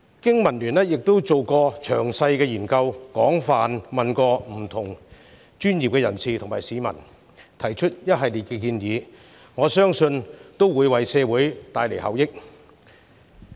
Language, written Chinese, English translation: Cantonese, 經民聯曾經進行詳細研究，廣泛諮詢各界專業人士及市民，並提出了一系列建議，我相信能為社會帶來效益。, BPA has conducted a detailed study to extensively consult a variety of professionals and members of the public and put forward a series of proposals . I trust that they can bring benefits to the community